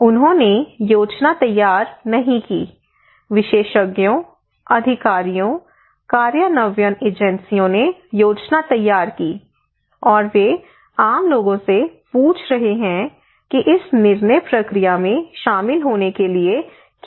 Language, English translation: Hindi, They did not prepare the plan we prepared the plan experts, authorities, implementing agencies they prepared the plan, and they are asking common people that what are the gaps there what are the components to be incorporated into this decision making process